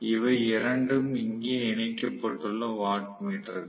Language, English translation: Tamil, So, these are the points of the watt meter